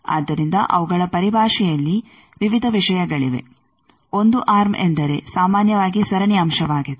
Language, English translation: Kannada, So, there are various things in their terminology the 1 arm means generally a series element